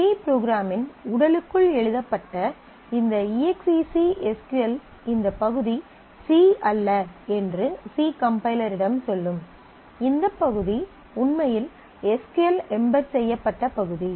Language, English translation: Tamil, This EXEC SQL written inside the body of a C program will tell the C compiler that this part is not C; this part is actually embedded SQL